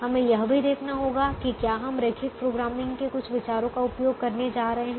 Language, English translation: Hindi, we also have to see that: are we going to use some ideas of linear programming